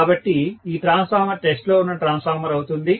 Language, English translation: Telugu, So, this is the transformer under test